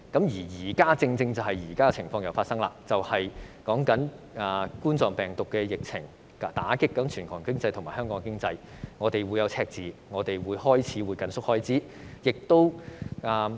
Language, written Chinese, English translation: Cantonese, 現在再一次發生難以預計的情況，冠狀病毒疫情打擊全球和香港經濟，香港將會出現赤字，需要緊縮開支。, Unforeseeable situations have arisen once again . The coronavirus epidemic has dealt a blow to the global and Hong Kong economy . Hong Kong will incur a deficit so we have to tighten spending